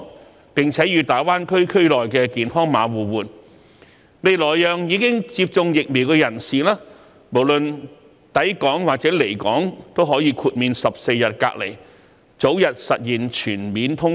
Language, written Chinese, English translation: Cantonese, 透過"港康碼"與大灣區"健康碼"的互通安排，今後更可讓已接種疫苗的人士無論抵港或離港，均可豁免14日隔離檢疫的安排，從而早日實現全面通關。, Through mutual recognition of the Hong Kong Health Code and the health code issued in GBA all inbound and outbound travellers can in the future be exempted from observing the 14 - day compulsory quarantine requirements if they have already received vaccination and this will facilitate the early and full resumption of cross - border and cross - boundary travel